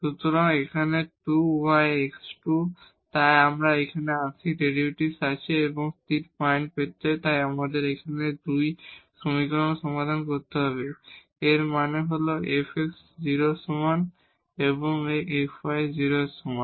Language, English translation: Bengali, So, here 2 y and plus x square, so we have the partial derivative and to get the stationary points, so we need to solve these 2 equations; that means, the f x is equal to 0 and this f y is equal to 0